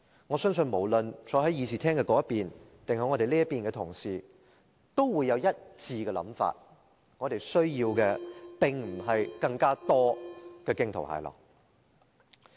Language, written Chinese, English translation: Cantonese, 我相信無論坐在會議廳那邊還是我們這邊的同事都有一致的想法，我們需要的並非是更多驚濤駭浪。, I believe that Members sitting on that side or this side of the Chamber all hold the same view that fearful storm is the least thing we want